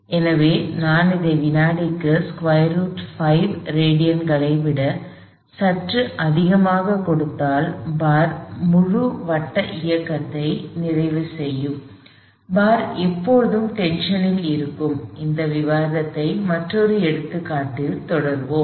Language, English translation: Tamil, So, if I give it slightly more than square root of 5 radians per second, the bar would complete a full circular motion with the bar being intention all the time, we will continue with discussion in a other example problem